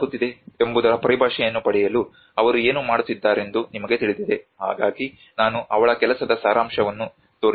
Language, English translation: Kannada, You know what are they talking about to get the jargon of what is happening so I am just showing a gist of her work